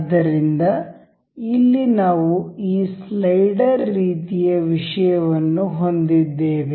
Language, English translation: Kannada, So, here we have this slider kind of thing